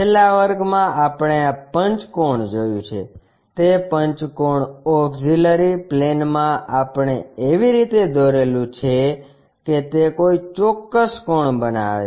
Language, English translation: Gujarati, In the last class we have seen this pentagon, in that pentagon auxiliary plane we have made in such a way that that was making a particular angle